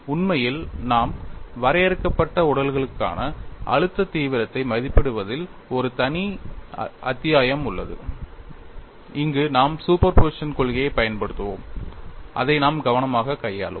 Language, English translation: Tamil, In fact, we would have a separate chapter on evaluating stress intensity factor for finite bodies, where we would use principle of superposition and we would handle that carefully